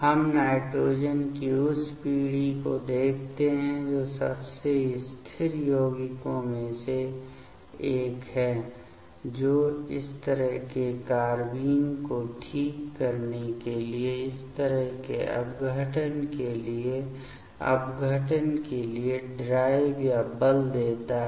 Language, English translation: Hindi, We see that generation of nitrogen that is the most one of the most stable compound that drives or forces for the decomposition for such kind of decomposition to generate this kind of carbenes ok